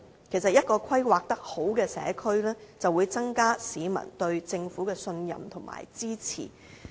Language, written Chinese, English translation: Cantonese, 其實一個規劃良好的社區，可以增加市民對政府的信任和支持。, In fact a well - planned community can increase the peoples trust and support towards the Government